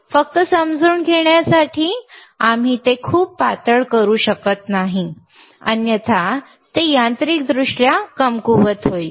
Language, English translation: Marathi, jJust to understand that, we cannot make it too thin, otherwise it will be mechanically weak